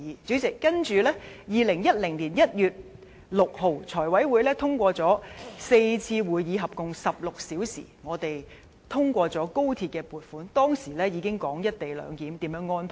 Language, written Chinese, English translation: Cantonese, 主席，接着2010年1月6日，財務委員會經過4次會議，合共16小時，我們通過高鐵撥款，當時已經討論"一地兩檢"如何安排。, Subsequently President the Finance Committee convened four meetings lasting 16 hours and eventually approved the funding for XRL on 6 January 2010 . At that time we already discussed how co - location clearance could be arranged